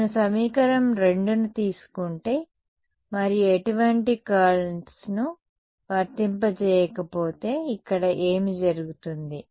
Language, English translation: Telugu, If I take equation 2 itself and do not apply any curls what happens here